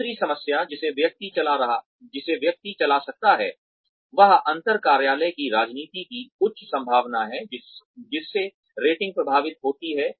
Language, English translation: Hindi, The other problem that, one can run in to, is the high possibility of intra office politics, affecting ratings